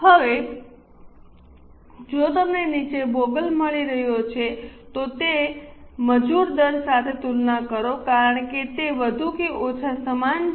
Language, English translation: Gujarati, Now, if you are getting sort of boggle down, just compare it with the labor rates because there are more or less same